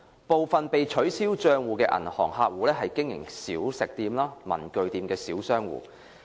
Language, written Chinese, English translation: Cantonese, 部分被取消帳戶的銀行客戶是經營小食店、文具店的小商戶。, Some of the bank customers whose accounts have been cancelled are small business owners operating catering outlets or stationery shops